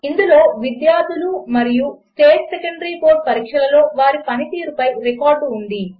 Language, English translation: Telugu, It contains record of students and their performance in one of the State Secondary Board Examination